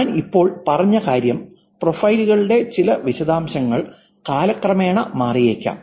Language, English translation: Malayalam, The point is just not said, which is some details of the profiles can actually change over time